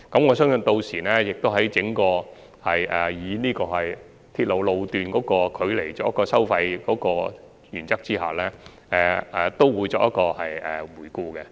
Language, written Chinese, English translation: Cantonese, 我相信港鐵公司屆時亦會在整體按照鐵路路段距離收費的原則下作出檢討。, I believe that MTRCL will also conduct a review at that time having regard to the overall principle of charging fares according to the distance of rail sections